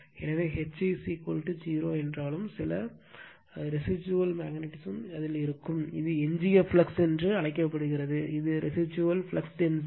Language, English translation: Tamil, So, although H is equal to 0, but some residual magnetism will be there, this is called your what you call that residual flux right, and this is residual flux density